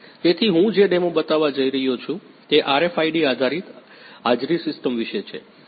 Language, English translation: Gujarati, So, the demo that I am going to show is about RFID based attendance system